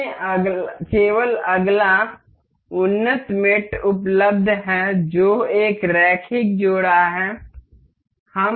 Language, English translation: Hindi, Let us just see the next advanced mate available, that is linear coupler